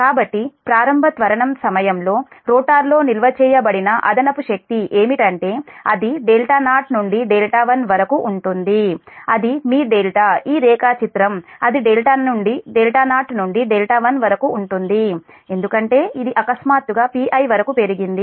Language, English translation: Telugu, that excess energy stored in the rotor during the initial acceleration is it will be delta zero to delta one, that is your delta, this diagram, that delta zero to delta one, because it has increased from your suddenly to p i